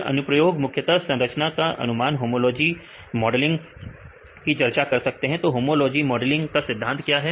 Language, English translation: Hindi, Then we can discuss with the applications, mainly structure prediction, you can do the homology modeling right what is the principle used in homology modeling